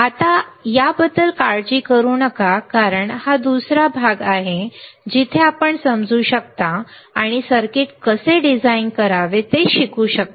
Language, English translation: Marathi, Now, we do not worry about it because that is another part where you can understand and learn how to design the circuit